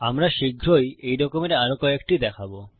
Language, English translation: Bengali, Well see a few more of these soon